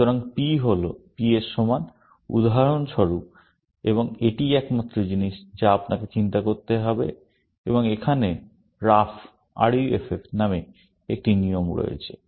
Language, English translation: Bengali, So, P is equal to P, for example, and that is the only thing, you have to worry about, and here is a rule called ruff